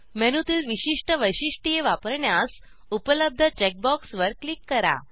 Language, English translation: Marathi, etc To use a particular feature on the menu, click on the check box provided